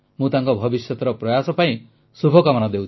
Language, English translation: Odia, I wish her all the best for her future endeavours